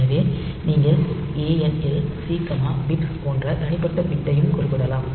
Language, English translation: Tamil, So, you can specify individual bit also like ANL C, bit